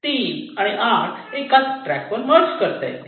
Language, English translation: Marathi, and three, eight can also be merged